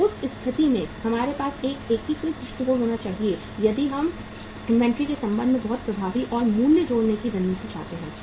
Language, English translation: Hindi, So in that case we have to have a integrated approach if we want to have the very effective and value adding strategy with regard to the inventory